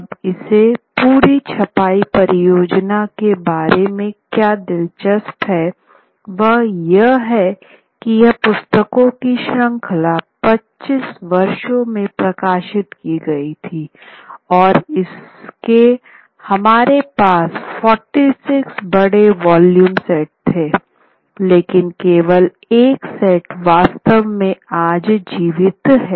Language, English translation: Hindi, Now what is interesting about this entire printing project is that it was the series of books were published, the volumes were published across 25 years and what we had was a set of 46 peak volumes, only one such set actually survives today